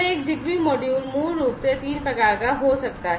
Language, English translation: Hindi, So, a ZigBee module basically can be of 3 types